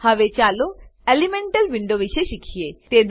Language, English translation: Gujarati, Now lets learn about Elemental window